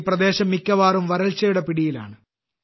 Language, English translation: Malayalam, This particular area mostly remains in the grip of drought